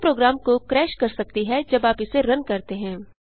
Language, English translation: Hindi, It may crash the program when you run it